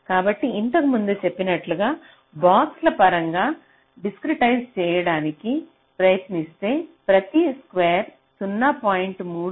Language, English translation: Telugu, so if you again, similarly as i said earlier, try to discretize it in terms of square boxes, each of this square will be point three, two micron